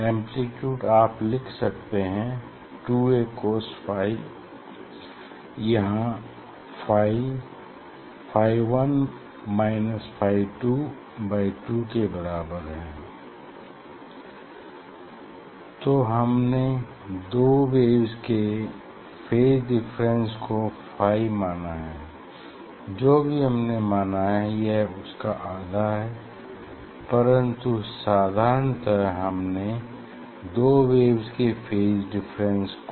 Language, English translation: Hindi, here in general I have written 2 A cos phi ok, so phi is your phi 1 minus phi 2 by 2, so just we are considering this is the phi, this is the phase difference between two waves whatever we have taken or it is a half of that but in general so we have taken that is phi, phase difference between 2 waves